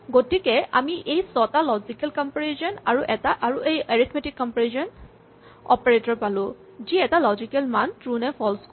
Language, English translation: Assamese, So, we have these 6 logic logical comparison operators' arithmetic comparison operators which yield a logical value true or false